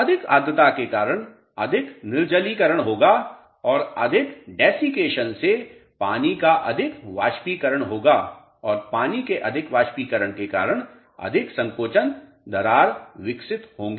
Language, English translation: Hindi, More humidity will cause more desiccation and more desiccation will cause more evaporation of water and more evaporation of water will cause more shrinkage crack will develop